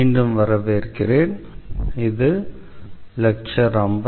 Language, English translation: Tamil, So, welcome back this is lecture number 54